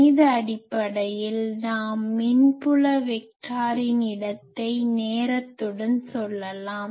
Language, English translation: Tamil, Basically in mathematical terms we can say the locus of the electric field vector with time